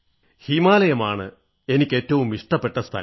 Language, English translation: Malayalam, Well I have always had a certain fondness for the Himalayas